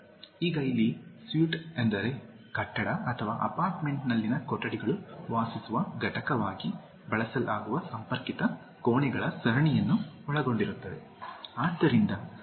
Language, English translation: Kannada, Now, here sweet means rooms in a building or an apartment consisting of a series of connected rooms used as a living unit